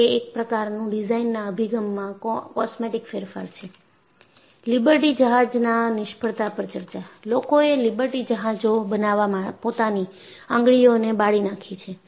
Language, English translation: Gujarati, It is only a cosmetic change in your design approaches… And people really burned their fingers in Liberty ships